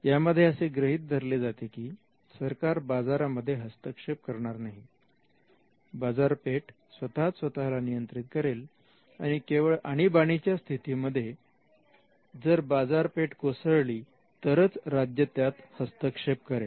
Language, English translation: Marathi, They say that you know the state will not interfere in the markets, the market should self regulate themselves and only in extreme cases where there is a market failure will the state interfere